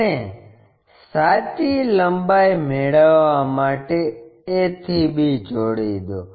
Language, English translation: Gujarati, And, join a to b to get true length